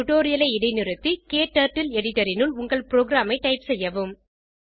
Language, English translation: Tamil, Pause the tutorial and type the program into your KTurtle editor